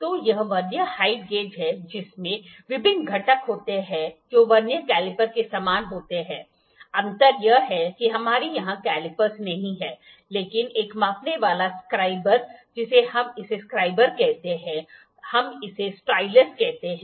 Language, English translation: Hindi, So, this is the Vernier height gauge which is having various components, which are very similar to the Vernier caliper all about the difference is that we do not have calipers here, but a measuring scriber we call it scriber, we call it stylus